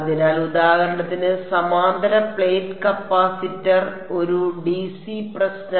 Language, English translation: Malayalam, So, for example, parallel plate capacitor, a dc problem